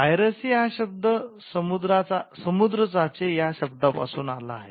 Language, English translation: Marathi, Now piracy comes from the word pirate which stood for a sea robber